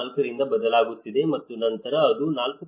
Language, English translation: Kannada, 4 and then it goes on to 4